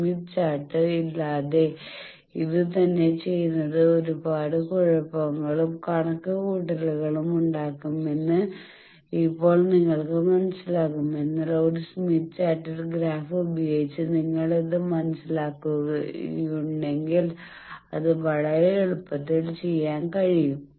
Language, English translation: Malayalam, And now you will understand that come doing this same thing without smith chart will be lot of trouble, lot of calculations, but in a smith chart graphically you can do it very easily if you have understood this